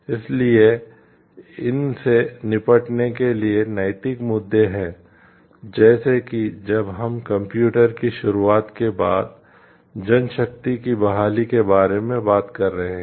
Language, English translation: Hindi, So, these are some questions, ethical issues to deal with, like when we are talking of the manpower reorientation after the introduction of computers